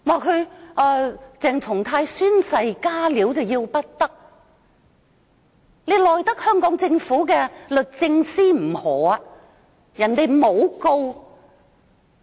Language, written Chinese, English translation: Cantonese, 她指鄭松泰議員宣誓"加料"要不得，但她又奈得香港政府的律政司甚麼何？, She said that it was unacceptable that Dr CHENG Chung - tai had made additions in taking his oath . With the Department of Justice DoJ doing nothing what can she do about it?